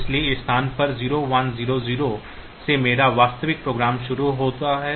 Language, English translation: Hindi, So, this at location from 0 1 0 0 my actual program starts